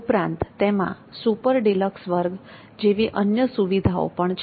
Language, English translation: Gujarati, For example, there is the super deluxe class